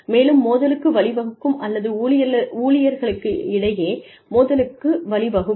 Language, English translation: Tamil, And, can result in conflict, or can lead to conflict, between employees